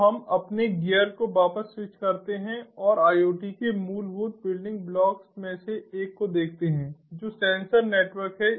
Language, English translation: Hindi, so let us switch back our gear and let us look at one of the fundamental building blocks of iot, which is the sensor network